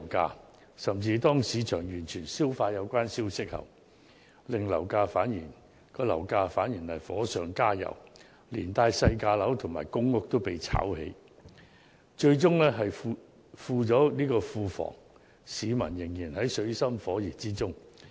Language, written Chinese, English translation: Cantonese, 更甚的是，當市場完全消化有關消息後，樓市反而火上加油，連帶細價樓和公屋也被"炒"起，最終只是富了庫房，但市民卻仍然在水深火熱之中。, Worse still once the market has fully digested the relevant news the property market will be further heated up and speculative activities even extend to low - priced residential flats and public rental housing PRH units . Eventually the Treasury gets wealthier but members of the public are still in dire misery